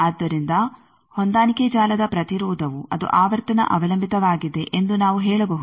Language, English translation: Kannada, So, we can say the impedance of the matching network that is frequency dependant